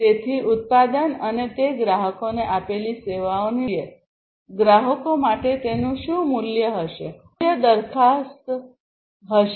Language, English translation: Gujarati, So, what value it is going to have to the customers in terms of the product and the services it is offering to the customer; value proposition